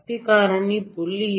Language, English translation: Tamil, If the power factor had been 0